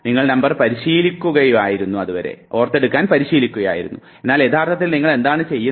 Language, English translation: Malayalam, You were rehearsing the number, but what you are actually doing